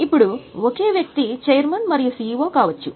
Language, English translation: Telugu, Now same person may be chairman and CEO